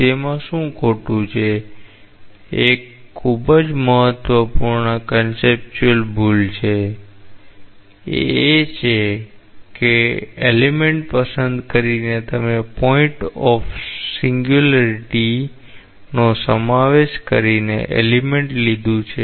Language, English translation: Gujarati, What is wrong with that a very important conceptual mistake is, there by choosing this element you have taken the element by including the point of singularity